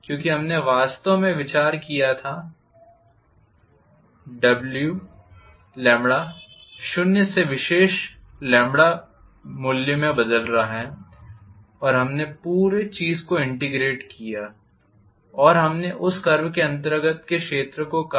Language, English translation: Hindi, Because we considered actually, the lambda is changing from zero to particular lambda value and we integrated the whole thing and we said area under that curve